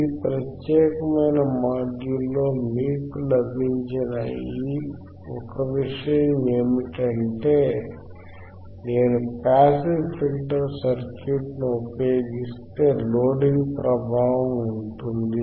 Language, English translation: Telugu, The one thing that you got in this particular module is that, if I use a passive circuit, passive circuit then there will be a effect of Loading